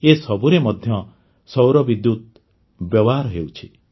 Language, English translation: Odia, Solar energy has also demonstrated that